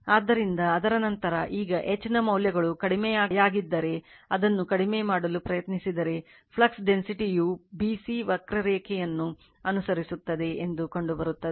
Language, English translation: Kannada, So, after that what you will do that your now if the values of H is now reduce it right you try to reduce, it is found that flux density follows the curve b c right